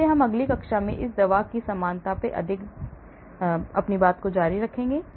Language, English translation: Hindi, so we will continue more on this drug likeness in the next class as well,